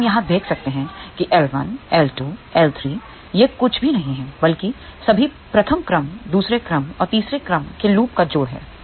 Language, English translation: Hindi, So, we can see here L1 L2 L3 these are nothing but sum of all first order second order and third order loops